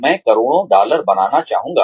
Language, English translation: Hindi, I would like to make crores of dollars